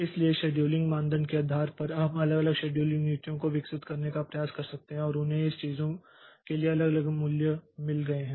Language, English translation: Hindi, So, based on this scheduling criteria, so we can try to develop different scheduling policies and they have got different values for this thing